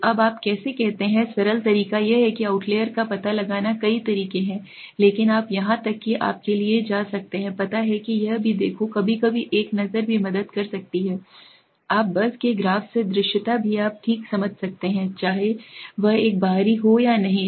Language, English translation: Hindi, So how do you do now the simple method is to detect outliers there are several methods but you can even go for a you know just look at it also sometimes a look can also help you out just by visibility from the graph also you can understand okay, whether it is should be an outlier or not